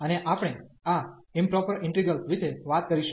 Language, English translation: Gujarati, And we will be talking about this improper integrals